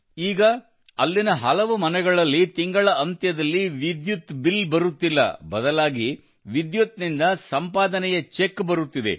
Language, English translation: Kannada, Now in many houses there, there is no electricity bill at the end of the month; instead, a check from the electricity income is being generated